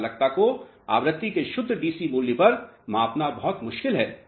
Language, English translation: Hindi, It is very difficult to measure the conductivity at pure DC value of frequency